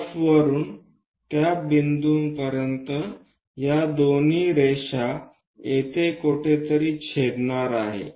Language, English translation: Marathi, From F to that point draw these two lines are going to intersect somewhere here